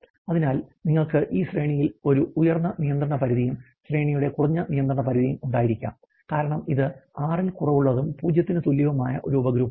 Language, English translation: Malayalam, So, you can have a upper control limit for the range and the lower control limit for range in this case because is a subgroup is less than 6 is equal to 0